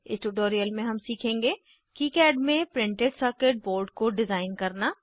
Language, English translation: Hindi, In this tutorial we will learn, To design printed circuit board in KiCad